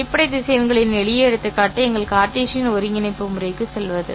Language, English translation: Tamil, A simple example of this would be to go back to our Cartesian coordinate system